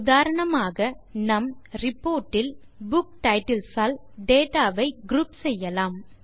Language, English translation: Tamil, For example, in our report, we can group the data by Book titles